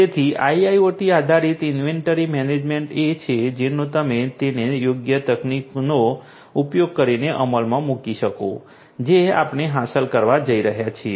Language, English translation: Gujarati, So, IIoT based inventory management this is what we are going to achieve if we can you know implement it using suitable technologies